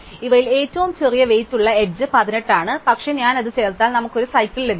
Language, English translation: Malayalam, Now, the smallest among these is the edges with weight 18, but if I had that we get a cycle